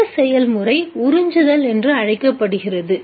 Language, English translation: Tamil, Such a process is called absorption